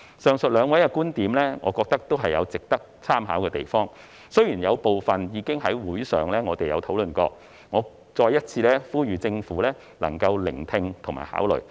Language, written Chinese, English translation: Cantonese, 上述兩位的觀點，我覺得也有值得參考之處，雖然有部分已在會議上討論過，但我想再次呼籲政府聆聽和考慮。, The propositions of these two people in my opinion can well serve as reference . Although some of them have already been discussed at our meeting I wish to call on the Government again to pay heed to them